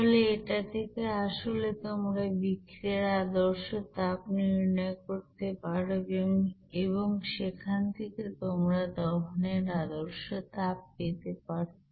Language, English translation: Bengali, So from this actually, you can calculate that heat of reaction from the you know standard heat of combustion